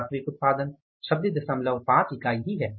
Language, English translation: Hindi, Actual yield is 26